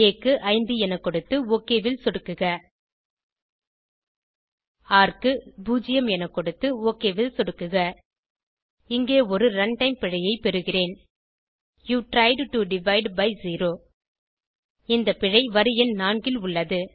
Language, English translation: Tamil, lets enter 5 for a and click OK enter 0 for r and click OK Here we get a runtime error , you tried to divide by zero This error is in line number 4